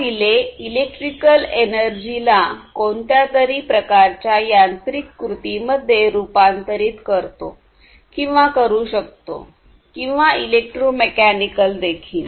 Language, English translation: Marathi, So, this relay what it does is it transforms the electrical energy into some kind of mechanical action, so or it could be electromechanical as well